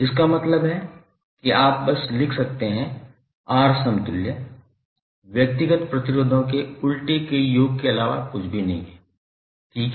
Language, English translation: Hindi, It means that you can simply write R equivalent is nothing but reciprocal of the summation of the reciprocal of individual resistances, right